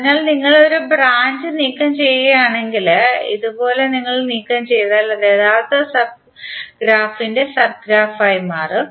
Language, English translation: Malayalam, So if you remove one branch, like this if you remove it will become sub graph of the original graph